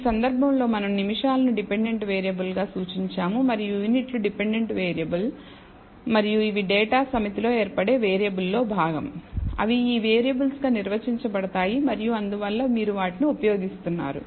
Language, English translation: Telugu, In this case we have indicated the minutes as the dependent variable and units as the dependent variable and these are variables that forms part of the data set, they are defined as these variables and therefore, you are using them